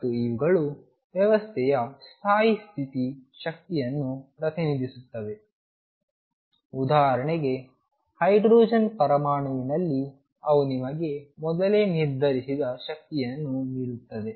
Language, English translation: Kannada, And these will represent the stationary state energy of the system for example, in hydrogen atom they will give you the energy is determined earlier